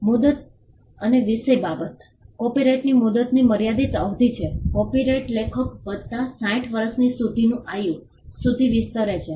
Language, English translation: Gujarati, Term and subject matter: the term of a copyright is a limited term; the copyright extends to the life of the author plus 60 years